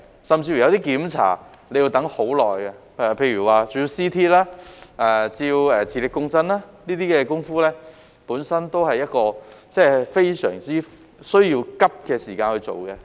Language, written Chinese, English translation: Cantonese, 甚至有些檢查，亦需要等很久，例如照 CT、照磁力共振，這些工夫都需要在趕急的時間內進行。, The waiting time is long even for some examinations such as computed tomography CT scans or magnetic resonance imaging scans . Such procedures have to be carried out promptly